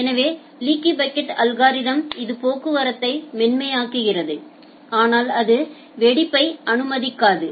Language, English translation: Tamil, So, the leaky bucket algorithm it smooth out traffic, but it does not does not permit burstiness